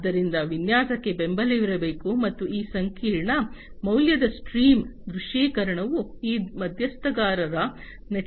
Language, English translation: Kannada, So, there should be support for the design as well as the visualization of this complex value stream that will be created from this stakeholder network